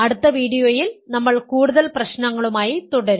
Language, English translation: Malayalam, In the next video, we will continue with more problems